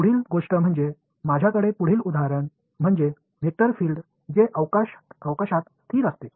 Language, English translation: Marathi, The next thing the next example that I have is a vector field that is constant in space